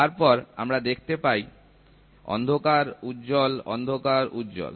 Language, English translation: Bengali, Then we see a dark, bright, dark, bright